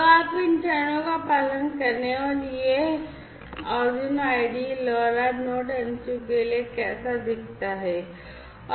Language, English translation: Hindi, So, you follow these steps and then this is how this Arduino IDE looks like for LoRa Node MCU